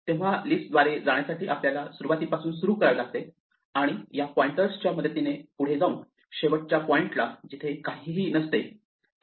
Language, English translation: Marathi, So, in order to go through the list we have to start at the beginning and walk following these pointers till we reach the last pointer which points to nothing